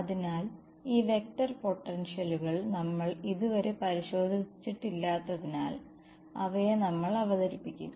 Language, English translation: Malayalam, So, since we have not yet looked at these vector potentials we will introduce them ok